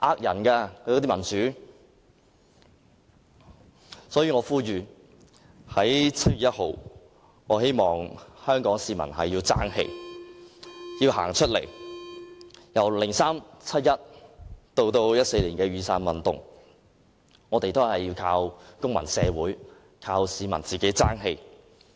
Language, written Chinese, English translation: Cantonese, 因此，我呼籲在7月1日，香港市民要爭氣，要走出來，由2003年的七一大遊行到2014年的雨傘運動，我們都是靠公民社會，靠市民爭氣。, I therefore call on Hong Kong people to brace up and take to the streets on 1 July . From the massive rally on 1 July 2003 to the Umbrella Movement in 2014 we have all along counted on the civil society hoping that members of the public would put up a good show